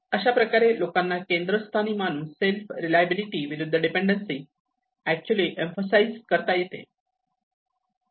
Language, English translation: Marathi, So, this is where the putting people in self in a center which actually emphasizes on self reliability versus with the dependency